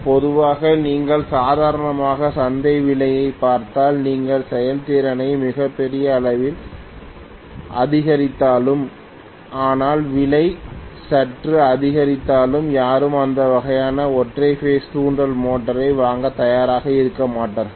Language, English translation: Tamil, Generally, if you look at the normal market price because even if you increase the efficiency tremendously, but if the price increases even slightly nobody will be willing to buy this kind of single phase induction motor